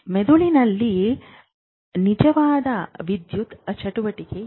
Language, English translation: Kannada, What is this actual electrical activity in the brain